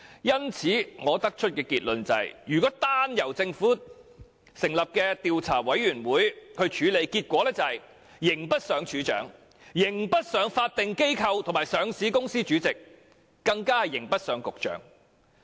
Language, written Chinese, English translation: Cantonese, 因此，我得出的結論是，如果單由政府成立的調查委員會處理有關事宜，結果只會是刑不上署長，刑不上法定機構或上市公司的主席，更刑不上局長。, Therefore my conclusion is that if the matter in question is merely dealt with by a Commission of Inquiry set up by the Government it will only result in no punishment being meted out to the Director the Chairman of the statutory body or listed company concerned or the Secretary